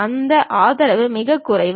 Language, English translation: Tamil, That support is very minimal